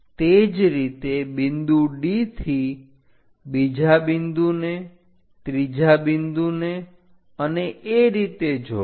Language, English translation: Gujarati, Similarly from D connect second point third point and so on